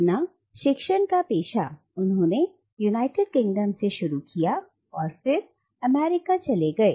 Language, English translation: Hindi, He started his teaching career in the United Kingdom but then moved on to America